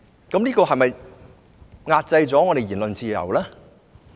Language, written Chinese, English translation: Cantonese, 這是否壓制我們的言論自由？, Is it done to suppress our freedom of speech?